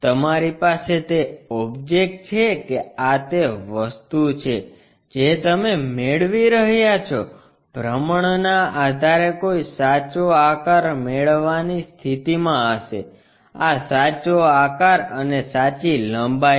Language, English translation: Gujarati, You have that object this is the thing what you are getting, based on rotations one will be in a position to get, this true shape this is the true shape and true lengths